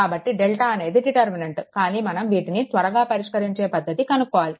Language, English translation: Telugu, So, delta is a deltas are the determinants, but we have to know some procedure that how to solve it quickly, right